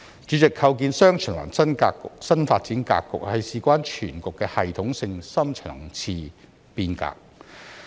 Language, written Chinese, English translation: Cantonese, 主席，構建"雙循環"新發展格局是事關全局的系統性深層次變革。, President the establishment of the new development pattern of dual circulation is a systematic and deep - level reform concerning the overall situation of the country